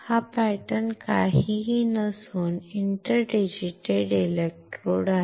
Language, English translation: Marathi, This pattern is nothing, but an interdigitated electrode